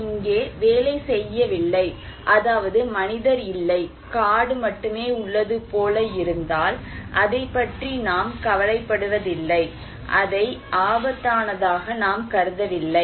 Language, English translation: Tamil, If it is like that where he is not here, he is not working, no human being, only forest, then we do not care about it, we do not consider it as risky